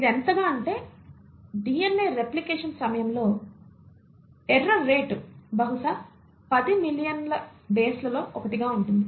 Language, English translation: Telugu, So much so that the error rate at the time of DNA replication will be probably 1 in say 10 million bases